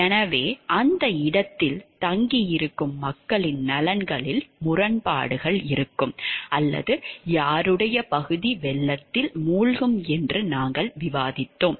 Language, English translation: Tamil, So, that is what we were discussing there will be conflicts of interest of people staying in that place or whose area is going to get flooded